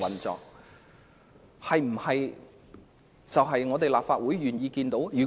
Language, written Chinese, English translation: Cantonese, 這是立法會願意看到的嗎？, Is this what the Legislative Council wishes to see?